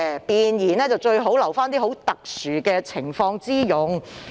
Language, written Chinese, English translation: Cantonese, 弁言最好留作這種特殊情況之用"。, It is best reserved for such exceptional cases